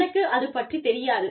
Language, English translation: Tamil, I do not know